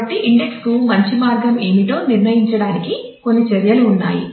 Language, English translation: Telugu, So, there are certain measures to decide as to what is a good way to index